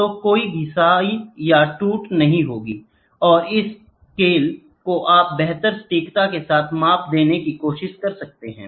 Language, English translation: Hindi, So, there is no wear and tear, and the scales you can try to have with the finest accuracy